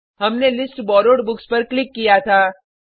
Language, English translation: Hindi, We had clicked on List Borrowed Books